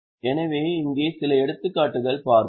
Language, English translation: Tamil, So, these are a few of the examples